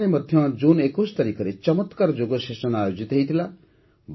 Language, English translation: Odia, Here too, a splendid Yoga Session was organized on the 21st of June